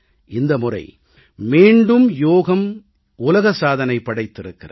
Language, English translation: Tamil, Yoga has created a world record again this time also